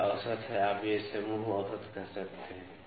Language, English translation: Hindi, This is average you can call it group average